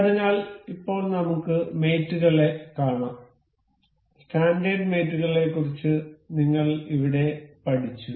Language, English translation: Malayalam, So, now let us see the mates; we we we learned about the standard mates over here